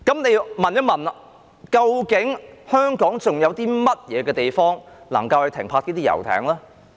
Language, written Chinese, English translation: Cantonese, 那麼，試問香港還有甚麼地方可以停泊遊艇呢？, Such being the case where else in Hong Kong can yachts be moored? . Reclamation can indeed release space